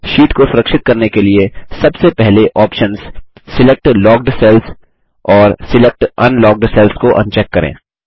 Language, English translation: Hindi, To protect the sheet, first, un check the options Select Locked cells and Select Unlocked cells